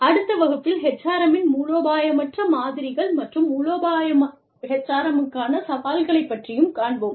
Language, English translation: Tamil, In the next class, we will be dealing with the, non strategic models of HRM, and the challenges to strategic HRM